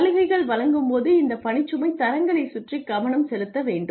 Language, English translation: Tamil, So, the incentives need to be focused around these workload standards